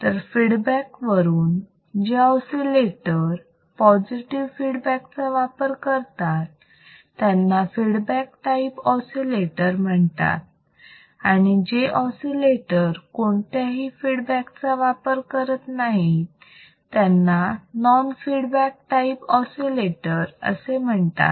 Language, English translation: Marathi, So, if I see based on the feedback the oscillators which use the positive feedback are called feedback type oscillators and those which does not use any or do not use any type of feedback are called non feedback type oscillators